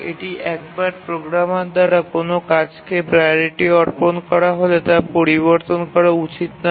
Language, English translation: Bengali, That is once a priority is assigned to a task by the programmer should not change